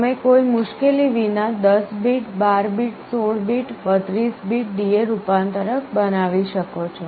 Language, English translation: Gujarati, You can built a 10 bit, 12 bit, 16 bit, 32 bit D/A converter without any trouble